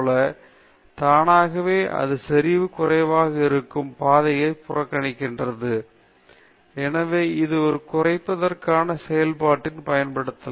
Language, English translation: Tamil, So, automatically, it ignores paths where the concentration is low; therefore, this can be used for a minimization function